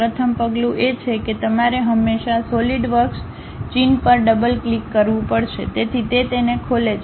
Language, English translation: Gujarati, The first step is you always have to double click Solidworks icon, so it opens it